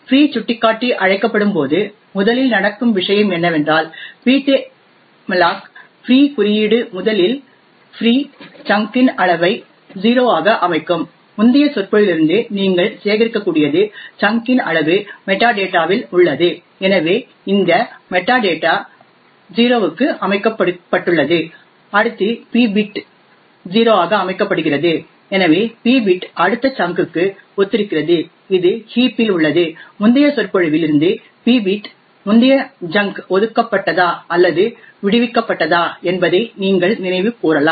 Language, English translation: Tamil, So when free pointer is called the first thing that would happen is that the ptmalloc free code would first set the size of the free chunk to 0, so as you can be collect from the previous lecture the size of the chunk is present in the metadata, so this metadata is set to 0 next the p bit is set to 0, so the p bit corresponds to the next chunk which is present in the heap and as you can recollect from the previous lecture the p bit stores whether the previous junk was allocated or freed